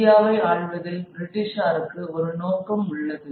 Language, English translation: Tamil, British have a purpose in ruling India